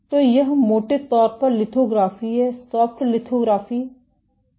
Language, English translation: Hindi, So, this is broadly lithography, what is soft lithography